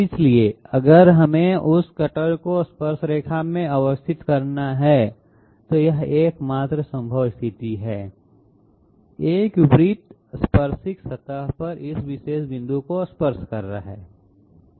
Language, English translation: Hindi, So if we have to position that cutter tangentially, this is the only possible position; a circle tangent touching to this particular point on the surface